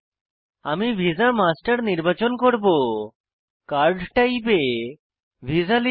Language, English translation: Bengali, I will choose this visa master, So card type is Visa